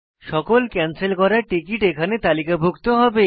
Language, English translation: Bengali, So all the canceled ticket will be listed here